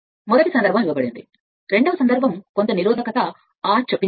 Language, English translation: Telugu, First case given, second case some resistance R is inserted